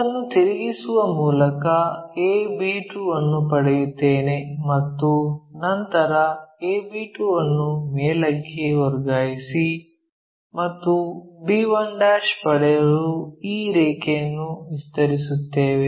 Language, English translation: Kannada, By rotating it so, that I will get a b 2 then transfer that a b 2 all the way up, then extend this line get this one, this will be the true length